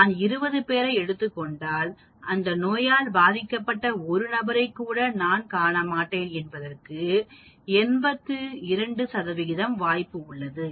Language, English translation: Tamil, There is 82 percent chance that if I take 20 people, I will not even find 1 person with that disease